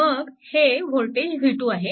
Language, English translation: Marathi, Right and this voltage is v 1 means